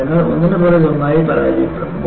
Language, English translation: Malayalam, So, we will go one failure after the other